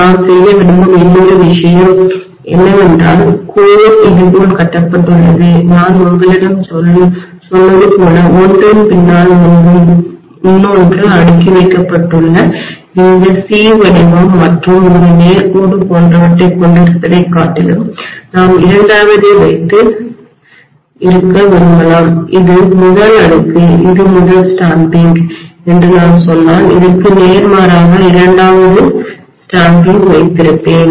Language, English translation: Tamil, One more thing we would like to do is the core is constructed like this I told you rather than basically having this C shape and a straight line kind of thing just stacked one behind the other, we may like to have the second, if I say that this is the first stack, this is the first stamping, I would have the second stamping just opposite of this